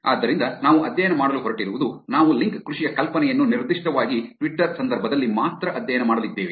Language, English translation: Kannada, So, what we are going to study is, we are going to study the idea of link farming specifically only in the context of Twitter